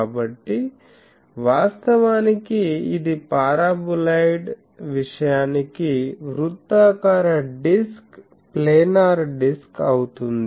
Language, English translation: Telugu, So, actually it is a circular disk planar disk for this paraboloid thing